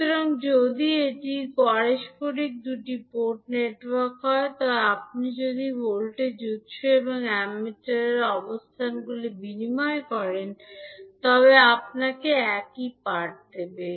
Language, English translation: Bengali, So, if it is reciprocal two port network, then if you interchange the locations of voltage source and the ammeter will give you same reading